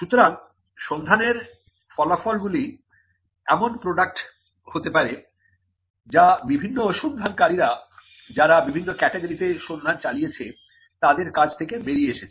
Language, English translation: Bengali, So, the results of a search could be a product that comes out of the work of different searchers who have searched different categories